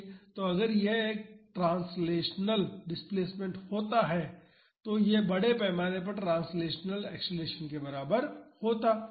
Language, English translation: Hindi, So, that is if it was a translational displacement this would have been equal to mass times translational acceleration